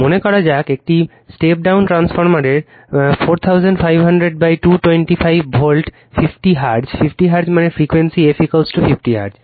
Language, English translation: Bengali, Say 4000 your, a 4500 upon 225 voltage in a step down transformer 50 Hertz, 50 Hertz means the frequency, right f is equal to 50 Hertz